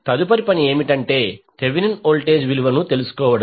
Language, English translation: Telugu, Next task is, to find out the Thevenin voltage